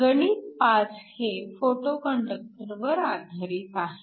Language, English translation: Marathi, So, problem 5 is related to a photoconductor